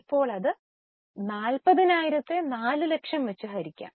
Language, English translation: Malayalam, Now 40,000 upon 4 lakhs